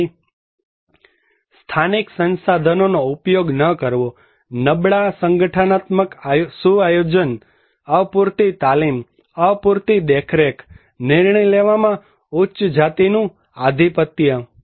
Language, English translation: Gujarati, So, no utilization of local resource, weak organizational setup, inadequate training, inadequate monitoring, hegemony of upper caste in decision making